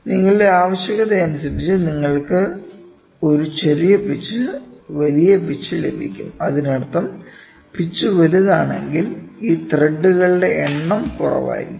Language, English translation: Malayalam, So, pitch can change depending upon your requirement you can have a smaller pitch, you can have a larger pitch; that means, to say if the pitch is large so, then that number of threads are going to be less